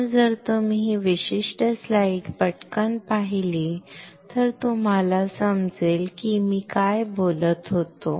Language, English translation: Marathi, So, if you quickly see this particular slide you will understand what I was talking about right